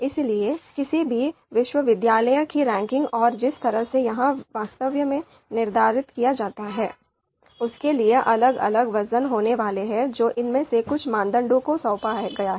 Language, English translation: Hindi, So therefore for any university ranking and the way it is actually you know determined, there are going to be different weights that are assigned to some of these criteria